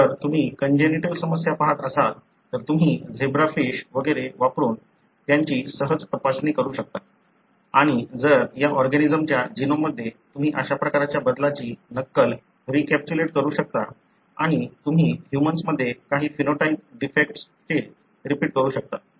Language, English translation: Marathi, If you are looking at congenital problems, you can easily screen them using zebra fish and so on and if you can recapitulate by mimicking that kind of a change, again in the genome of these organisms and you can recapitulate some of those phenotype defects that you see in humans